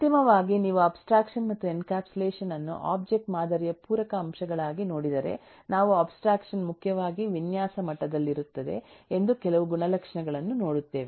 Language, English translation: Kannada, finally, if you look into abstraction and encapsulation as uh complementary elements of object model, we will eh see certain characteristics that abstraction is primarily at a design level, whereas encapsulation is talking more in the implementation level